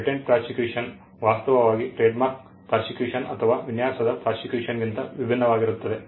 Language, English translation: Kannada, Patent prosecution actually is different from a trademark prosecution or design right prosecution